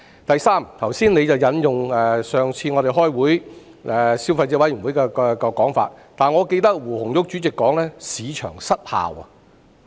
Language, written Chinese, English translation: Cantonese, 第三，局長剛才引用我們上一次開會時所提到的消委會分析，但我記得胡紅玉主席曾說"市場失效"。, Third the Secretary has earlier quoted the analysis of the Consumer Council which we mentioned in the last meeting but I remember Chairperson Anna WU once said market failure